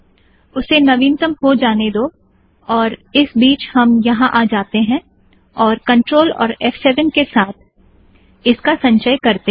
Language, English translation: Hindi, Let it update, in the mean time lets come here and try to compile it using control f7